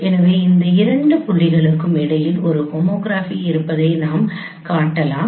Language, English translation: Tamil, So we can show that there exists a homography between these two points